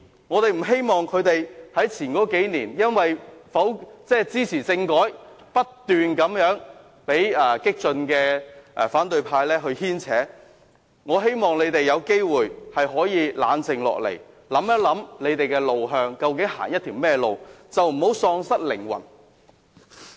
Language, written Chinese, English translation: Cantonese, 我不希望溫和民主派因為曾在數年前支持政改而不斷被激進反對派牽扯，我希望他們有機會冷靜下來，思考他們的路向，究竟要走一條怎樣的路，不要喪失靈魂。, I do not want the moderate democrats to be constantly led by the nose by the radical faction of the opposition camp because of their support for constitutional reform a few years ago . I hope they will be able to calm down and think about their way forward or what path they want to take . They must not lose their souls